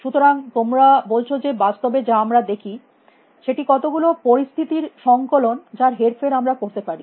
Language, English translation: Bengali, So, you are saying that reality is as we see a collection of situations which we can manipulate